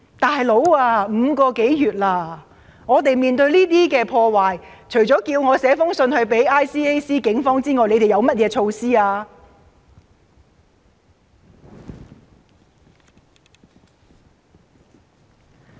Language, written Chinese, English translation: Cantonese, "老兄"，已經5個多月了，當我們面對這些破壞時，除了叫我寫信到 ICAC 或警方外，他們究竟還有甚麼措施呢？, Hey buddy it has been going on for five months . In the wake of such vandalism what measures have they put in place in addition to telling us to write to ICAC or the Police?